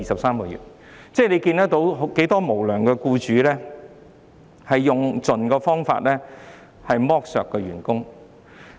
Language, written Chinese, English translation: Cantonese, 我們從這些例子看到有很多無良僱主用盡方法來剝削員工。, From these examples we can see many unscrupulous employers exhausting every means to exploit their employees